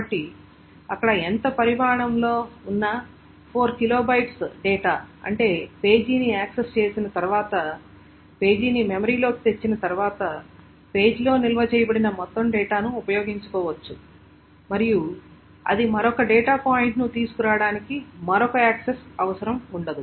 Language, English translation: Telugu, So as much of, means as much of 4 kilobyte of data, whatever is the size there, such that once that page is accessed, once that page is brought into memory, the entire data that is stored in the page can be utilized and it does not require another access to bring in another data point